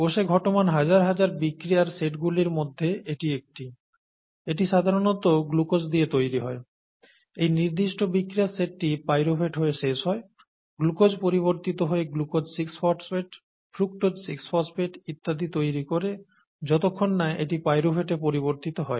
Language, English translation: Bengali, So this is one set of one of the thousands of sets of reactions that occur in the cell, its typically starts with glucose, and this particular set of reaction ends with pyruvate, glucose gets converted to glucose six phosphate, gets converted to fructose six phosphate and so on and so forth until it gets with pyruvate